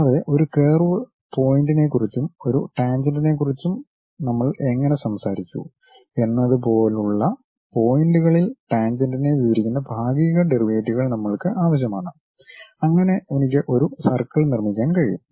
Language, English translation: Malayalam, And, we require partial derivatives describing tangent at those points like how we talked about a curve point and a tangent so that I can really construct a circle